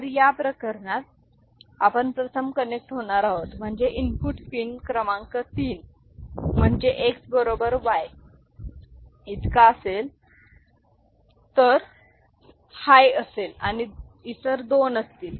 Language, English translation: Marathi, So, the first case we will be connecting in this manner, right that is the input pin number 3 that is X equal to Y in that will be high and other two will be 0